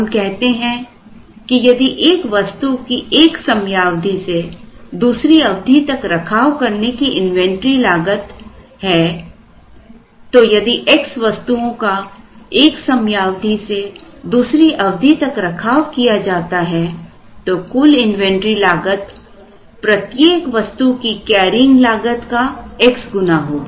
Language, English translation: Hindi, We said that if there is an inventory cost of carrying a unit from one period to another if x units are carried then the total inventory cost will be x into the number of the x into the cost of carrying a unit from one period to another